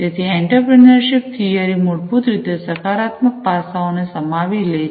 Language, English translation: Gujarati, So, the entrepreneurship theory, basically encapsulates the positive aspects